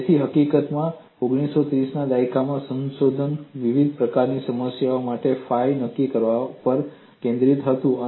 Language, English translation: Gujarati, So, in fact in 1930's, the research was focused on determining phi for various types of problems